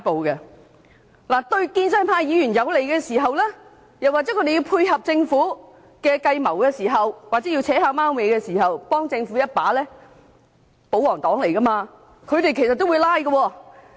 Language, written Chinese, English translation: Cantonese, 當事情對建制派議員有利，又或要配合政府的計謀，要暗中幫政府一把時，身為保皇黨的他們也會"拉布"。, If it is favourable to Members of the pro - establishment camp or when they have to work cooperatively with the Government and render assistance secretly they as royalists will also filibuster